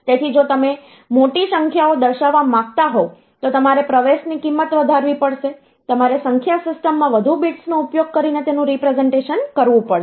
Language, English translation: Gujarati, So, if you want to represent larger numbers, then you have to increase the value of entry, you have to represent it using more bits in the number system